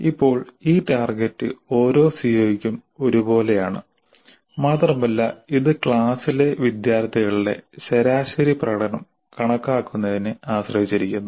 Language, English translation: Malayalam, Now this target is same for every CO and it depends only on computing the average performance of the students in the class